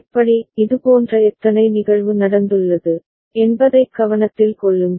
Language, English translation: Tamil, And to note how the how many such event has taken place